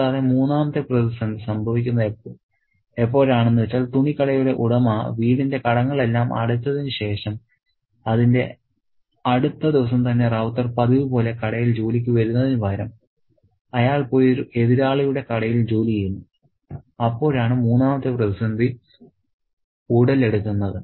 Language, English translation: Malayalam, And the third crisis happens when after the clothes shop owner has paid off the debts on the house and the very next day the router instead of coming to work at the usual shop, he goes and works at a rival shop